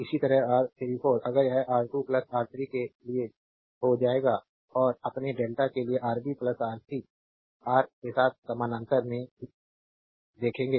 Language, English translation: Hindi, Similarly, R 3 4 if you make it will become R 2 plus R 3 for star and for your delta you will see Rb plus Rc is in parallel with Ra